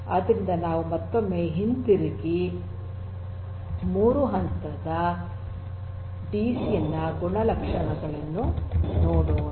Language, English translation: Kannada, So, let us go back once again and have a look at the properties of a 3 tier DCN